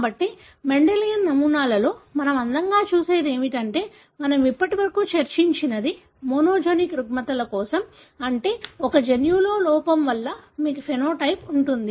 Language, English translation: Telugu, So, that is what we pretty much looked at in Mendelian patterns that is whatever we discussed so far are for monogenic disorders, meaning you have phenotype resulting from defect in mostly one gene